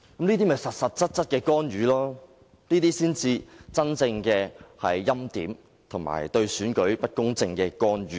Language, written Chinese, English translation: Cantonese, 這就是實實在在的干預，這才是真正的欽點，以及令選舉不公正的干預。, This is genuine interference . This is genuine preordination and such interference has made the election unfair